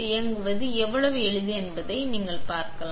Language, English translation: Tamil, See for yourself how easy it is to operate